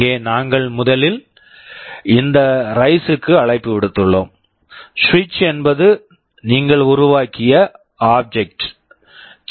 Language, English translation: Tamil, Here we have first made a call to this rise, switch is the object you have created